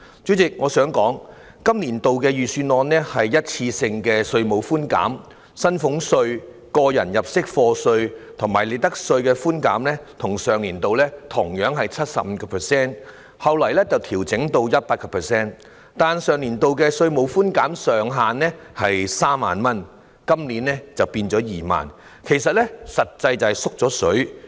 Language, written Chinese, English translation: Cantonese, 主席，我想指出，今個年度的預算案提供的是一次性的稅務寬減，薪俸稅、個人入息課稅和利得稅的寬減本來與上年度同樣是 75%， 後來調整至 100%， 但上年度的稅務寬減上限是3萬元，今年改為2萬元，實際上是"縮了水"。, President I would like to point out that the tax reductions proposed in the Budget this year are provided on a one - off basis . The percentage rate of reductions of salaries tax tax under personal assessment and profits tax was originally the same as that of last year which was 75 % . Later it was adjusted to 100 %